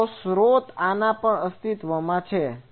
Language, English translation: Gujarati, The source is existing over this